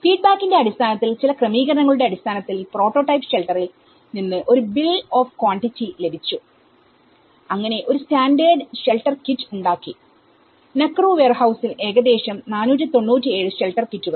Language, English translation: Malayalam, And this is where based on the feedback, based on some adjustments; a bill of quantity has been derived from the prototype shelter and where a standard shelter kit has been developed, about 497 shelter kits in its Nakuru warehouse